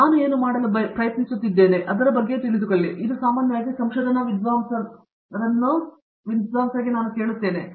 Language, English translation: Kannada, What I try to do is, I usually would like to meet with my research scholars on a daily basis